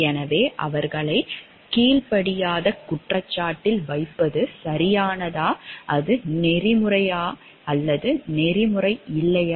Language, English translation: Tamil, So, was it correct to like put them on a charge of insubordination, was it ethical or not ethical